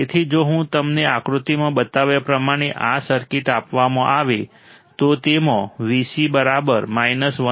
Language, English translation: Gujarati, So, if you are given this circuit as shown in the figure, it has V c equal to minus 1